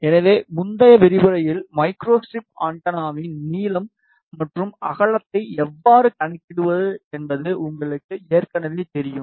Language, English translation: Tamil, So, in the previous lecture you already know how to calculate the length and width of micro strip antenna